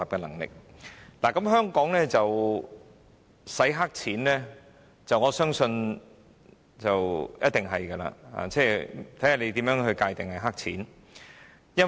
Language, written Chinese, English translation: Cantonese, 我相信香港一定有洗黑錢的情況，問題只在於如何界定"黑錢"。, Certainly there are money laundering activities in Hong Kong and the question is how to define black money